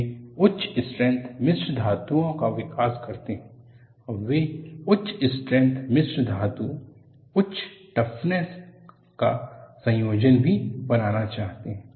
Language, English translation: Hindi, They develop high strength alloys and they also want to have combination of high strength alloys and high toughness